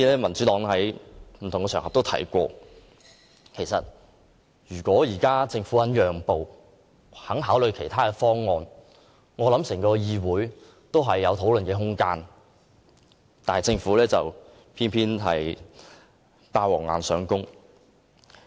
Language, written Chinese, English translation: Cantonese, 民主黨曾在不同的場合表示，要是政府肯作出讓步，願意考慮其他方案，立法會便會有討論空間，但政府偏要"霸王硬上弓"。, The Democratic Party has already made it clear on various occasions that if the Government is willing to compromise and consider other options there will be room for discussion in the Legislative Council but the Government insists on forcing its way through